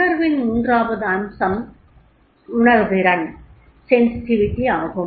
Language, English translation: Tamil, Third aspect in the emotional is that is the sensitivity